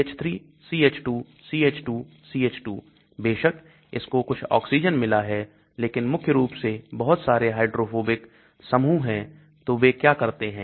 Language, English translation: Hindi, CH3 CH2 CH2 CH2 of course it has got some oxygen but predominantly lot of hydrophobic group so what they do